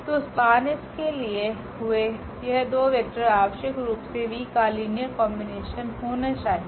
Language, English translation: Hindi, So, these two vectors which we have taken from the span S they must be the linear combination of the v’s